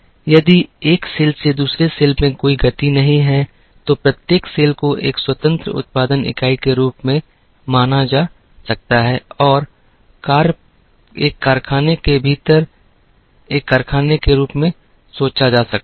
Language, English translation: Hindi, If there is no movement from one cell to another, each cell can be thought of as an independent production unit and can be thought of as a factory within a factory